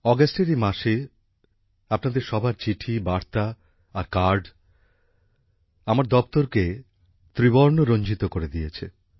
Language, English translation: Bengali, In this month of August, all your letters, messages and cards have soaked my office in the hues of the tricolor